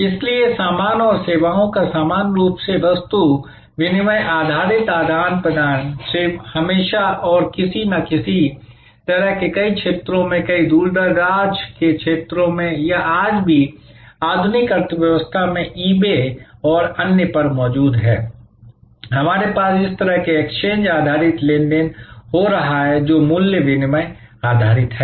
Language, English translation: Hindi, So, similar, barter based exchange of goods and services existed always and in some way or other, in many areas in many remote areas or even in the today in the modern economy on the e bay and others, we have such exchanges, exchange based transactions happening, value exchange based